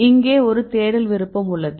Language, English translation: Tamil, You have a search option here